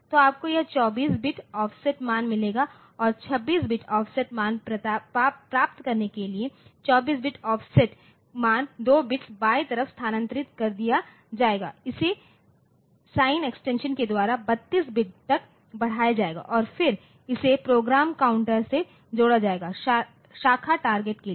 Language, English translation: Hindi, So, you will get this 24 bit offset value and that 24 bit offset value will be left shifted by 2 bits to get 26 bit offset value and that will be sign extended to 32 bits and then it will be added to the program counter for branch target